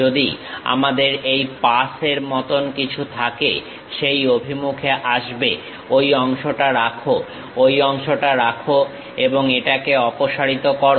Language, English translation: Bengali, If I have something like this pass, comes in that direction, retain that part, retain that part and remove this